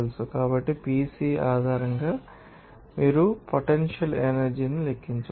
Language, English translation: Telugu, So, based on PC you can calculate what the potential energy